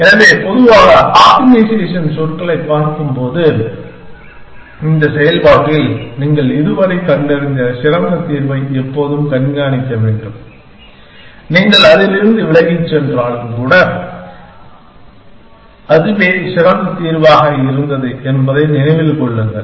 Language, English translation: Tamil, So, looking at in general in optimization terms, that in this process always keep track of the best solution that you have found ever, even if you have moved away from it, remember that, that was the best solution